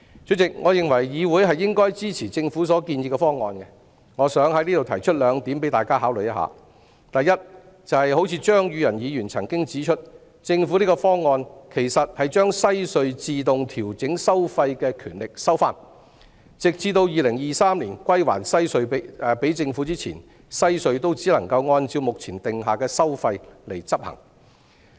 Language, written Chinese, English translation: Cantonese, 主席，我認為議會應該支持政府建議的方案，我想在此提出兩點供大家考慮：第一，正如張宇人議員指出，政府的方案其實是把西隧自動調整收費的權力收回，直至2023年歸還西隧給政府前，西隧都只能按照目前訂下的收費執行。, President in my view the Council should support the Governments proposal . I would like to raise two points for Members consideration . Firstly as highlighted by Mr Tommy CHEUNG the Governments proposal actually seeks to take back the automatic toll adjustment power of the WHC operator so that before WHCs return to the Government in 2023 the WHC operator can only charge according to the presently proposed tolls